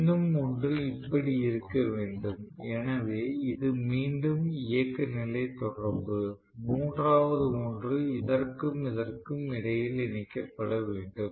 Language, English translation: Tamil, One more I should have like this, so this will be again running contactor and the third one has to be connected basically between this and this right